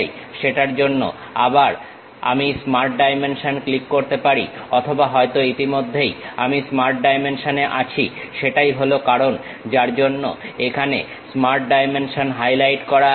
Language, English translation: Bengali, For that again I can click Smart Dimension or already I am on Smart Dimension; that is the reason the Smart Dimension is highlighted here